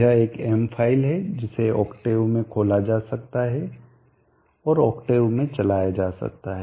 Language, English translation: Hindi, m, it is a m file that can be opened in octave and run in octave